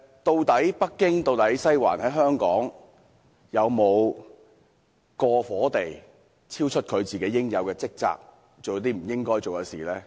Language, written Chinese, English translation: Cantonese, 究竟北京、"西環"在香港有否過火地超出應有職責，做了不應該做的事？, Have Beijing and Western District gone beyond their duties in Hong Kong and done what they should not do?